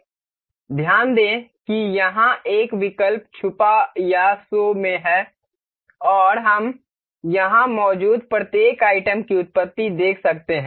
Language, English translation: Hindi, Note that there is a option called hide or show here and we can see the origins of each of the items being here present here